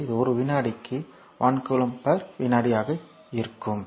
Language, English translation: Tamil, So, it will be your what you call that per 1 coulomb per second right